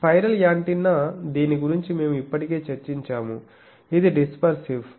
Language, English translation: Telugu, Spiral antenna we have already discussed about this, it is dispersive that is why it creates problem